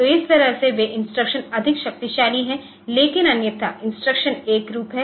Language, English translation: Hindi, So, that way those instructions are more powerful, but otherwise the instructions are uniform